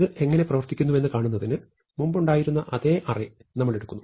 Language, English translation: Malayalam, So, to see how this works we take the same array that we had before